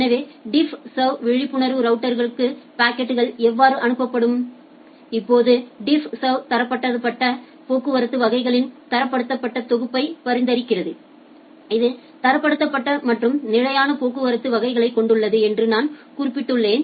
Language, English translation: Tamil, So, how the packets will be forwarded for DiffServ aware routers; now DiffServ recommends standardised set of traffic classes that I have mentioned it has standardized and fixed set of traffic classes